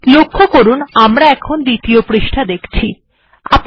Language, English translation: Bengali, Alright, what I want to say is that I am looking at the second page